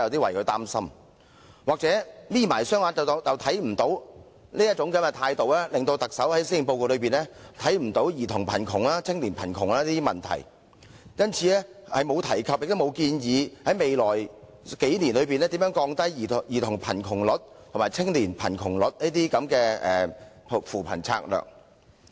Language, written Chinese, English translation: Cantonese, 或許是"'瞇'起雙眼便看不見"，特首完全沒有在施政報告正視兒童貧窮和青年貧窮等問題，所以對於在未來數年有何扶貧策略降低兒童貧窮及青年貧窮的比率，亦完全隻字不提。, Perhaps as one cant see with half - closed eyes the Chief Executive has not squarely addressed the problems of child and youth poverty in the Policy Address . Nor is there any mention of anti - poverty strategy to be adopted to lower the poverty rates of children and young people in the next few years